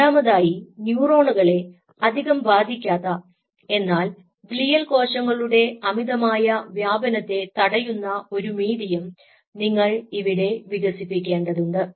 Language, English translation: Malayalam, and secondly, you have to have develop a medium which will prevent the proliferation of these glial cells too much and of course we will not influence the neurons too much